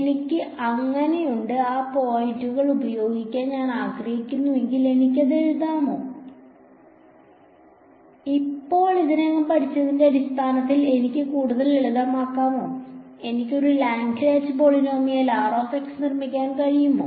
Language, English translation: Malayalam, I have so, supposing I want to use those N points, can I write this can I simplify this further in terms of what we already learnt, can I can I construct a Lagrange polynomial for r x